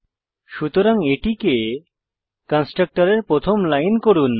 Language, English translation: Bengali, So make it the first line of the constructor